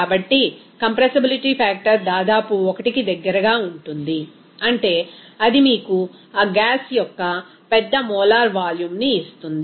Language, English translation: Telugu, So, the compressibility factor is near about 1, means it will give you that large molar volume of that gas